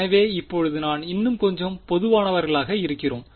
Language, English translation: Tamil, So, now, we are sort of becoming a little bit more general